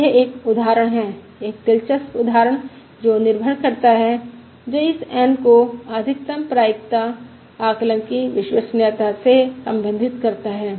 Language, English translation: Hindi, So this is an example, an interesting example which relies um, which relates this N to the reliability of the Maximum Likelihood Estimate